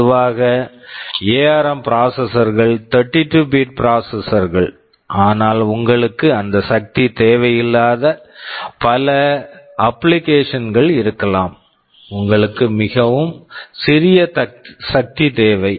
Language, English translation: Tamil, Normally ARM processors are 32 bit processors, but there may be many application where you do not need that power, you need much simpler power